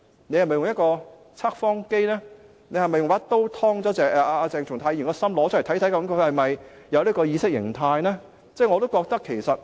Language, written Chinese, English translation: Cantonese, 是否用測謊機或一把刀劏開鄭松泰議員的心臟，看看是否存在這種意識形態呢？, Should we use a lie detector or a knife to cut open Dr CHENG Chung - tais heart to see if there is such an ideology?